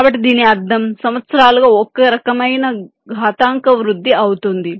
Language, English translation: Telugu, so this means some kind of an exponential growth over the years